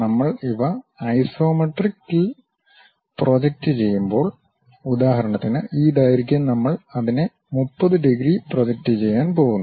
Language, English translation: Malayalam, And when we are projecting these in the isometric; for example, this length we are going to project it at 30 degrees thing